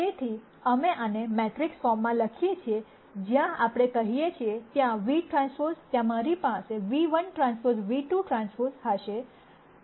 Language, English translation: Gujarati, So, we write this in a matrix form where we say v transpose there I will have nu 1 transpose nu 2 transpose